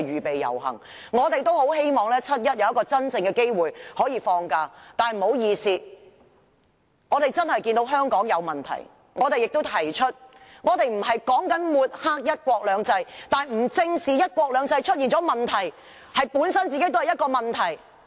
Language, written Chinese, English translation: Cantonese, 老實說，我們也很希望在7月1日有一個真正放假的機會，但不好意思，我們確實看到香港有問題，並且已經把這些問題提了出來；我們不是要抹黑"一國兩制"，但不正視"一國兩制"出了問題，這本身便是一個問題！, Honestly we would also love to enjoy a real holiday on 1 July but to our regret we cannot because there are indeed problems plaguing Hong Kong now and we have already raised those problems . While we are not trying to discredit one country two systems it would be a problem in itself if we do not face up to the problems arising from one country two systems!